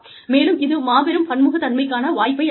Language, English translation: Tamil, And, it provides an opportunity for greater diversity